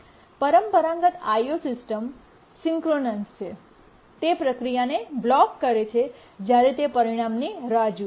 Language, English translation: Gujarati, in a operating system is synchronous, that is a process blocks when it waits for the result